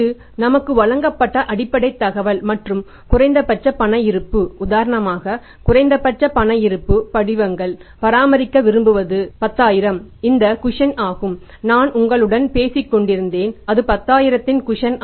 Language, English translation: Tamil, This is the basic information given to us and the minimum cash balance for example, this is the minimum cash balance, minimum cash balance forms want to maintain is that is the 10,000 that is a cushion